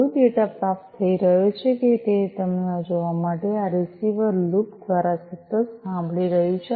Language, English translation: Gujarati, This receiver is listening continuously through a loop to see if there is any you know any data being received